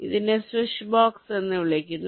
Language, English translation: Malayalam, this is called a switch box